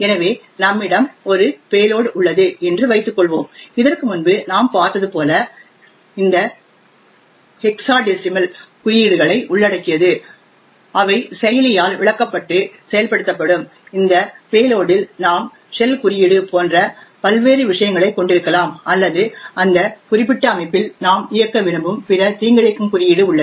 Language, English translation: Tamil, So let us assume that we have a payload which is present here and this payload as we have seen before comprises of some hexadecimal codes which can be interpreted by the processor and will execute, in this payload we could have various things like a shell code or any other malicious code which we want to execute in that particular system